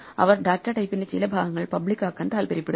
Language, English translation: Malayalam, They would like some parts of the data type to be public